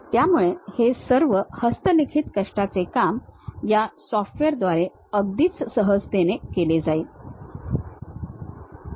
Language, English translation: Marathi, So, all that manual laborious task will be very easily taken care by this software